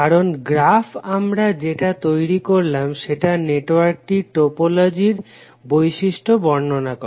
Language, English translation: Bengali, Because the graph what we are creating is describing the topological properties of the network